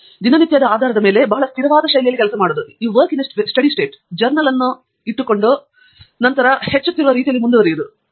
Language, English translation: Kannada, But then, doing things on a day to day basis in a very steady fashion, keeping the journal, and then moving forward in an incremental manner